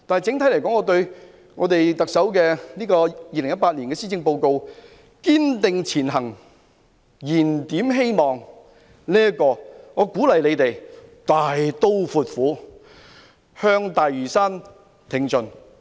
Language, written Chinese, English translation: Cantonese, 整體而言，就特首2018年題為"堅定前行燃點希望"的施政報告，我鼓勵政府大刀闊斧，向大嶼山挺進。, All in all regarding the Chief Executives Policy Address entitled Striving Ahead Rekindling Hope I encourage the Government to act boldly and drastically advancing towards Lantau